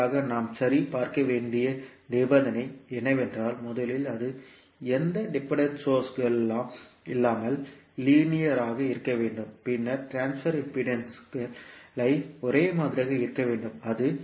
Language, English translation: Tamil, And for that, the condition which we have to verify is that first it has to be linear with no dependent source, then transfer impedances should be same; that is Z12 should be equal to Z21